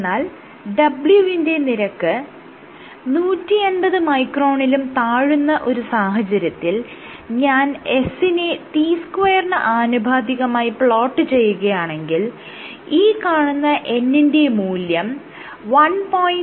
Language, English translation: Malayalam, However, for w less than 150, so if I were to plot it as s is a t the power n, then this n value was approximately 1